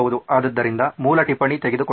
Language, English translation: Kannada, So basic note taking